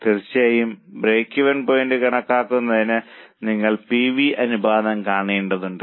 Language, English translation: Malayalam, For calculating break even point, of course you have to calculate the PV ratio also